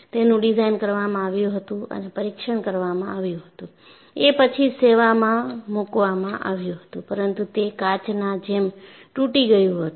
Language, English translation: Gujarati, It was designed, tested, then only put into service, but it broke like glass